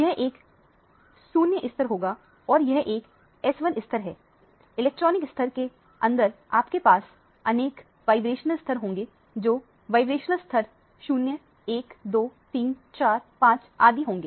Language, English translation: Hindi, This would be a 0 level and this is a S1 level, within the electronic level you have various vibrational level starting from vibrational level 0, 1, 2, 3, 4, 5 and so on